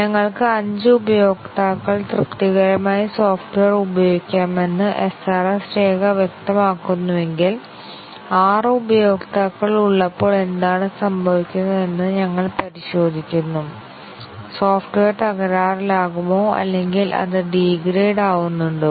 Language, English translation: Malayalam, If the SRS document specifies that we could the software could be used by 5 users satisfactorily, we check what happens when there are 6 users, does the software crash or does it gracefully degrade